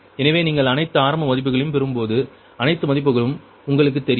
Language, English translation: Tamil, so when you, when you all, the, all, the initial value, all the values are known to you